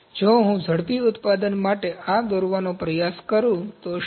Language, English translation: Gujarati, What if I try to draw this for rapid manufacturing